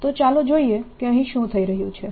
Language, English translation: Gujarati, so let's see what is happening